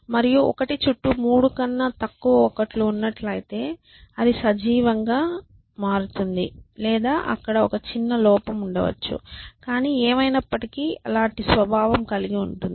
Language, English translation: Telugu, And if a 1 is surrounded by less than three ones and it stays alive essentially or something I may have a small error there but anyway something of that nature